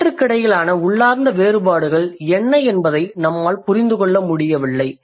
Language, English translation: Tamil, We are not able to understand what is what are the inherent differences between these two